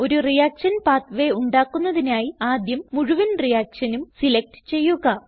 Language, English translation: Malayalam, To create a reaction pathway, first select the complete reaction